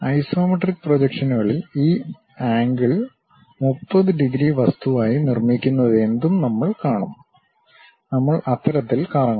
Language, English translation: Malayalam, In the isometric projections, we have to rotate in such a way that; we will see this angle whatever it is making as 30 degrees thing